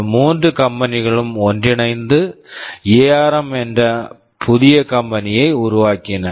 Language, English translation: Tamil, These threeis 3 companies came together and formed this new company called ARM